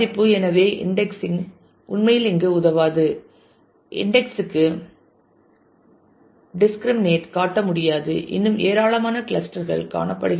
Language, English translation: Tamil, So, indexing really does not help here it cannot discriminate after indexing there will be lot of clusters still found